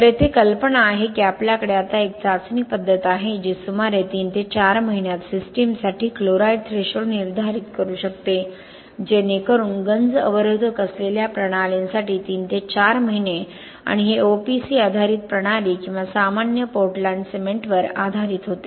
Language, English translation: Marathi, NowÖso idea here is we have now a test method which can determine the chloride threshold for systems in about 3 to 4 months, so that 3 to 4 months for the systems with corrosion inhibitors and this was done in OPC based system or ordinary Portland cement based system